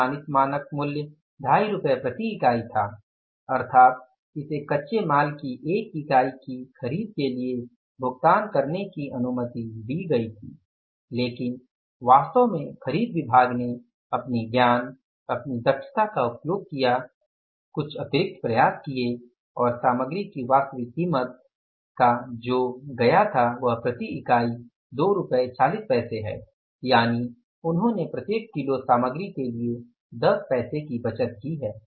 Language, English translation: Hindi, It was allowed to be paid for the purchase of the one unit of the raw material but actually the purchase department has used their own wisdom their own efficiency made some extra efforts and the actual price per unit of the material paid for purchasing of the one unit of the material that is 2